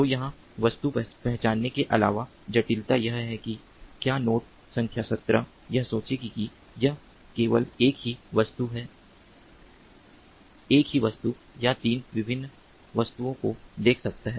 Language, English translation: Hindi, so here, in addition to object recognition, the complexity is that whether node number seventeen will, ah, will, ah, ah, will think that it can see only a single object or three different objects